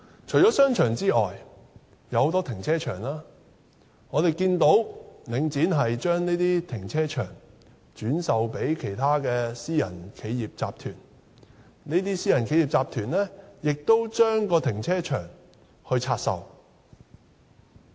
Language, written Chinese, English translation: Cantonese, 除了商場外，我們看到領展把很多停車場轉售予其他私人企業集團，而這些私人企業集團再把停車場拆售。, Apart from shopping malls we can also see that Link REIT is divesting many car parks to other private enterprises which will further divest them